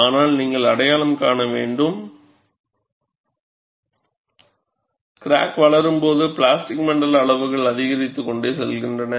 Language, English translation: Tamil, But you have to recognize, as the crack grows, the plastic zone sizes keeps increasing, and also formation of plastic wake